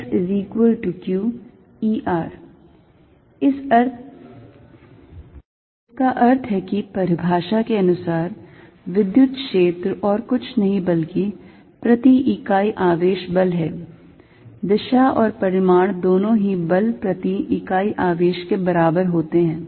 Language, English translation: Hindi, That means, by definition electric field is nothing but force per unit charge direction and magnitude both are equivalent to force per unit charge